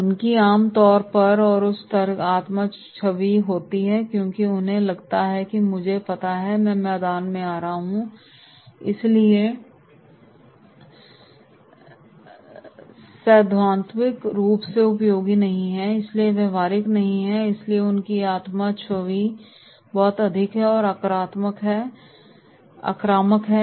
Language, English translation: Hindi, They generally have high self image because they feel that “I know” I am coming from the field so it is theoretical nothing useful, not practical so therefore their self image is very high and can become aggressive